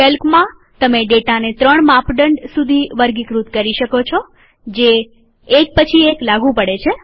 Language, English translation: Gujarati, In Calc, you can sort the data using upto three criteria, which are then applied one after another